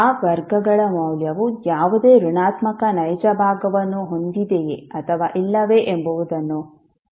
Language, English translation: Kannada, You have to observe whether the value of those roots are having any negative real part or not